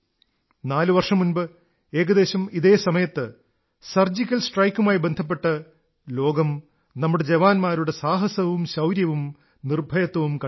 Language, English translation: Malayalam, Four years ago, around this time, the world witnessed the courage, bravery and valiance of our soldiers during the Surgical Strike